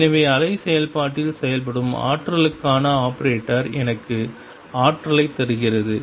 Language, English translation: Tamil, So, operator for the energy acting on the wave function gives me the energy